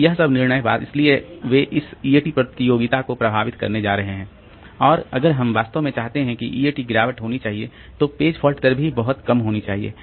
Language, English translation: Hindi, So, all these decisions so they are going to affect this EAT computation and if we really want that the EAT should be, EAT degradation should be low, then the page fault rate should also be very, very low